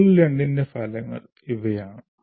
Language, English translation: Malayalam, That is the module 2